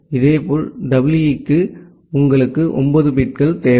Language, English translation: Tamil, Similarly, for EE, you require 9 bits